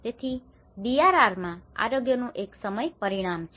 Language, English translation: Gujarati, So, there is a time dimension of health in DRR